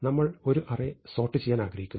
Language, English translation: Malayalam, So, here is an example of an array that we would like to sort